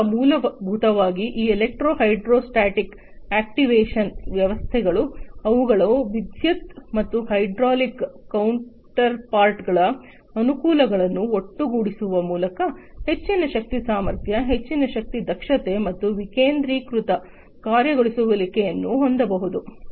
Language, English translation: Kannada, So, essentially these electro hydrostatic actuation systems by combining the advantages of their electric and hydraulic counterparts together can have higher force capability, higher energy efficiency and decentralized actuation